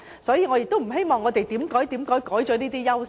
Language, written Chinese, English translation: Cantonese, 所以，我不希望香港失去這些優勢。, Therefore I do not want Hong Kong to lose these advantages